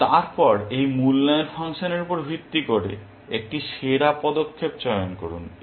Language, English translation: Bengali, And then, choose a best move based on this evaluation function